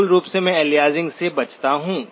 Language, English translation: Hindi, Basically I avoid aliasing